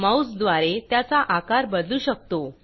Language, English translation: Marathi, You can re size it using your mouse